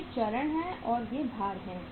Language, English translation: Hindi, These are the stages and these are the weights